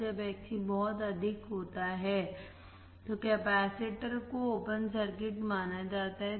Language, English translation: Hindi, When Xc is very high, capacitor is considered as an open circuit